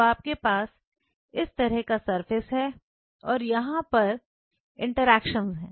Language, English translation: Hindi, So, you have the surface like this and here are the interactions right